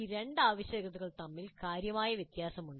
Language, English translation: Malayalam, There is a significant difference between these two requirements